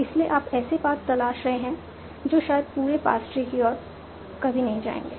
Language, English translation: Hindi, So you are exploring paths that will probably never lead to the whole path tree